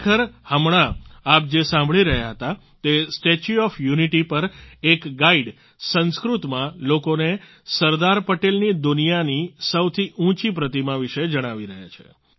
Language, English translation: Gujarati, Actually, what you were listening to now is a guide at the Statue of Unity, informing people in Sanskrit about the tallest statue of Sardar Patel in the world